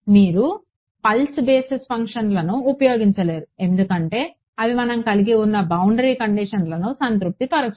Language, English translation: Telugu, You cannot use pulse basis functions because they do not satisfy the boundary conditions that we have